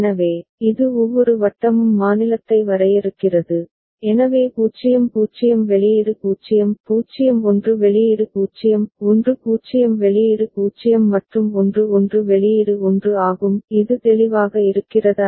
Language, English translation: Tamil, So, this each circle defines the state, so 0 0 the output is 0; 0 1 output is 0; 1 0 output is 0 and 1 1 output is 1 is it clear ok